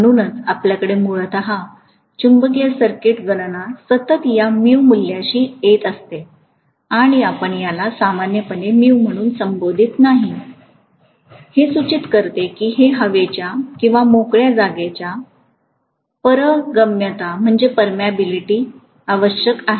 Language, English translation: Marathi, So we are going to have essentially the magnetic circuit calculation continuously encountering this mu value and we call this as mu naught normally, indicating that it is essential the permeability of air or free space